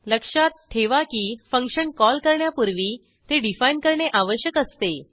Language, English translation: Marathi, Please remember that we have to define the function before calling it